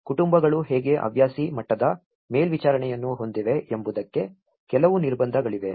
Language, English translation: Kannada, There is some constraints how the families have a very amateur level of supervision